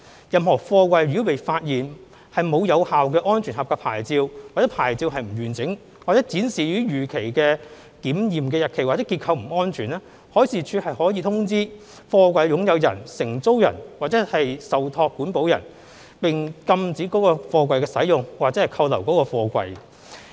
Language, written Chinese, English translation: Cantonese, 任何貨櫃如被發現沒有有效"安全合格牌照"或牌照不完整，或展示已逾期的檢驗日期或結構不安全，海事處可通知貨櫃的擁有人、承租人或受託保管人，並禁止該貨櫃的使用或扣留該貨櫃。, If the SAP on a container is found missing or incomplete or the inspection date has expired or the container is structurally unsafe the Marine Department may notify the owner lessee or custodian of the container and prohibit the use of such container or to detain the container